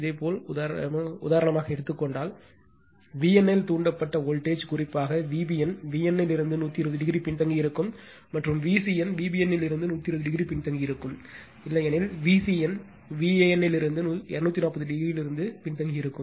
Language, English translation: Tamil, And if you take for example, voltage induced in V n as the reference, then V b n lags from V n by 120 degree, and V c n lags from V b n 120 degree, otherwise V c n lags from V a n by two 240 degree right